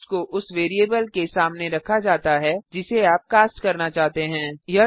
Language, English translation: Hindi, This cast is put in front of the variable you want to cast